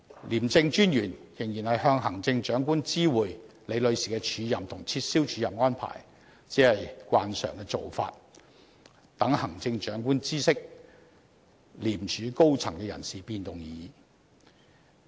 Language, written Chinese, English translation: Cantonese, 廉政專員仍然知會行政長官有關李女士的署任和撤銷署任安排，只是慣常的做法，讓行政長官知悉廉署高層人事變動而已。, It is true that the ICAC Commissioner still informed the Chief Executive of the offer and cancellation of Ms LIs acting appointment but this is just a practice by convention adopted to keep the Chief Executive posted of the personnel changes in ICAC